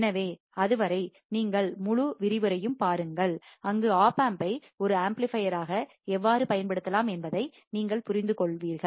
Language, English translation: Tamil, So, till then you just look at the whole lecture, where you have understood how the opamp can be used as an amplifier